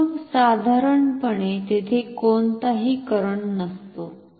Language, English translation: Marathi, So, then normally there is no current